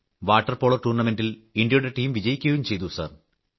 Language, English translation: Malayalam, Sir, the Indian team won the Water Polo tournament